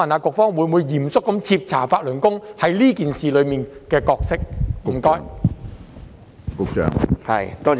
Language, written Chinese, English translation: Cantonese, 局方會否嚴肅徹查法輪功在這事件所擔當的角色？, Will the Bureau seriously investigate the role of Falun Gong in this incident?